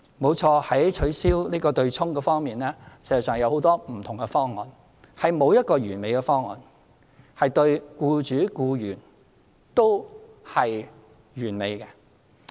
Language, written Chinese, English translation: Cantonese, 沒錯，在取消強積金對沖安排方面，實際上有很多不同方案，並沒有一個對僱主、僱員都是完美的方案。, It is true that there are actually many different options for the abolition of the offsetting arrangement under the MPF System but no option is perfect to both employers and employees